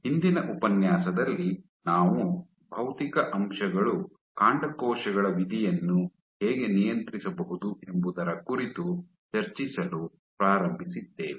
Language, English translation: Kannada, In the last lecture we are started discussing about how Physical factors can regulate Stem cell fate